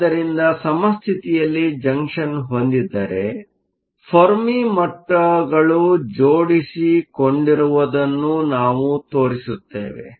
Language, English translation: Kannada, So, if you have a junction in equilibrium, we would show that the Fermi levels line up